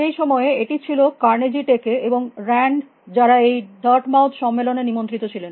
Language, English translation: Bengali, At that point it was Carnegie Tech and grand, who are also in mighty to the Dartmouth conference